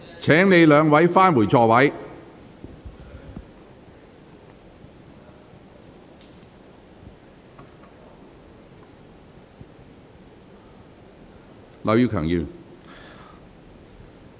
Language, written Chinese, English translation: Cantonese, 請兩位議員返回座位。, Will both Members please return to their seats